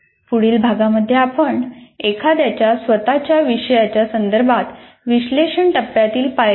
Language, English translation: Marathi, And then next unit, we will look at the steps of analysis phase with respect to one's own course